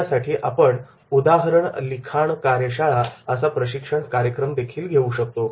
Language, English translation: Marathi, And for that purpose also, we can conduct a training program that is called the case writing workshop